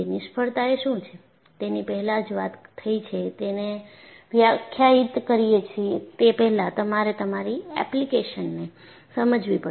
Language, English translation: Gujarati, I have already said, before you define what failure is, you will have to understand your application